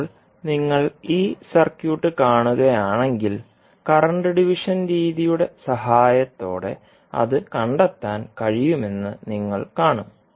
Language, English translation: Malayalam, Now, if you see this particular circuit, you will see that the I2 value that is the current I2 can be found with the help of current division method